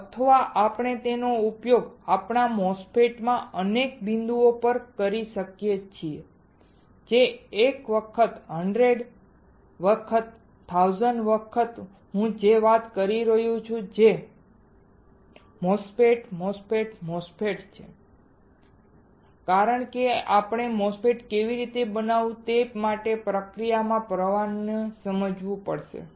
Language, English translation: Gujarati, Or we can use it at several points in our MOSFET that is one time a 100 times 1000 times I am speaking same thing which is MOSFET, MOSFET, MOSFET why because we have to understand the process flow for how to fabricate a MOSFET alright